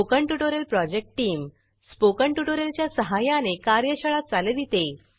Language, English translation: Marathi, The Spoken Tutorial project team conduct workshops using Spoken Tutorials